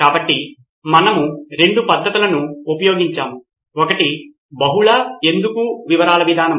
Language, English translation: Telugu, So we employed couple of methods one was the multi why approach